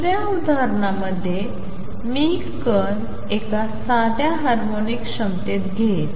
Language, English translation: Marathi, In the second example I will take the particle in a simple harmonic potential